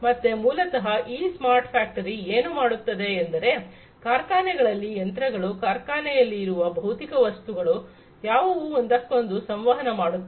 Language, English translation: Kannada, So, basically this smart factory what it does is these factory, machines in the factories, the physical objects that are there in the factory, which interact with one another